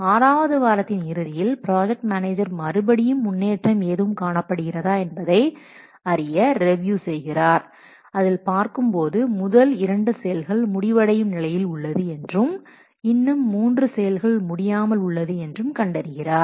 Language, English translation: Tamil, So at the end of 6th week, the project manager again, he reviews the progress and he has observed that two activities, first two activities are being finished and still three are not finished